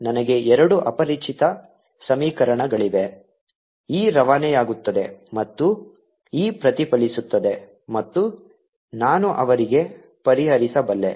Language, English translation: Kannada, i have got an two equations to unknowns e transmitted and e reflected, and i can solve for them